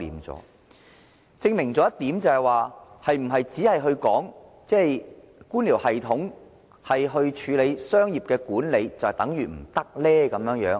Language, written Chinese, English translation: Cantonese, 這證明了一點，就是採用官僚系統來進行商業管理，是否就會行不通呢？, This proves a point . Is the bureaucratic system always ineffective in business management?